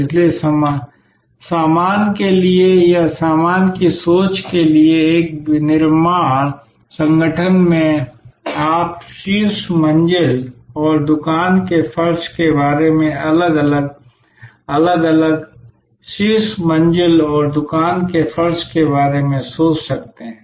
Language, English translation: Hindi, So, in a manufacturing organization for goods or in goods thinking, you can think about the top floor and the shop floor differently, separately top floor and the shop floor